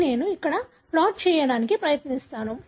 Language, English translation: Telugu, This I just try to plot it over there